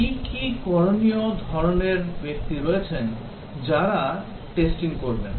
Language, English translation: Bengali, What are the different types of persons who do testing